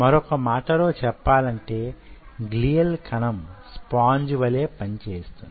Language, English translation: Telugu, so in other word, those glial cells acts as a sponge